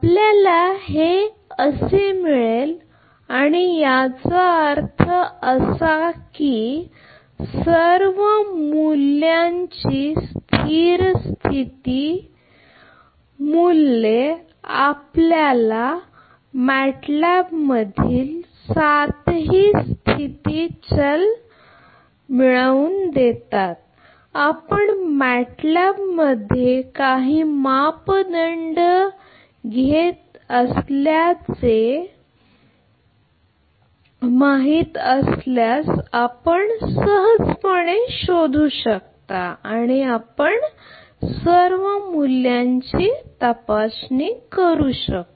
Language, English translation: Marathi, You will get and; that means, the steady state values of all the values you will get all the seven state variables in matlab you can easily verify if you know the matlab take some parameter and just check you will get all these values right